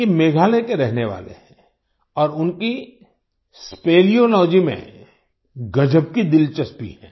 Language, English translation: Hindi, He is a resident of Meghalaya and has a great interest in speleology